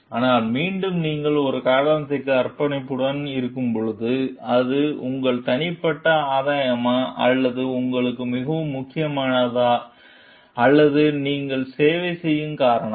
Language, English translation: Tamil, But, again when you are committed to a cause, so whether it is your personal gain or which is more important to you or the cause that you serve